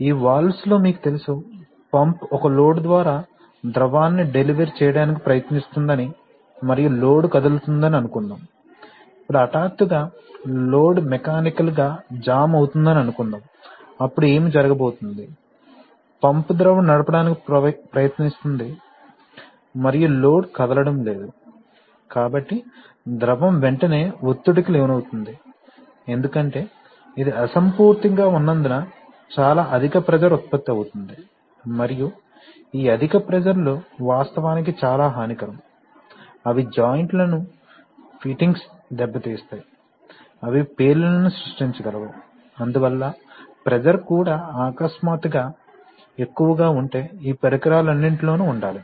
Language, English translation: Telugu, You know in these valves, remember that suppose the pump is trying to deliver fluid through a load and the load is moving, now suppose suddenly the load gets mechanically jammed then what is going to happen, the pump is trying to drive fluid and the load is not moving so the fluid will immediately tend to get pressurized because you see, because it is incompressible very high pressure will generate and these very high pressures can actually be very detrimental, they can open, they can damage seals, fittings they can create explosions etc, so therefore pressure has also, always to be in all this equipment, if the pressure suddenly tends to be very high